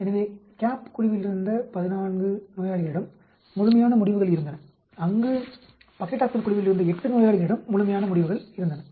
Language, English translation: Tamil, So, 14 patients in the CAP group had complete responses, where as 8 patients in the Paclitaxel group had complete responses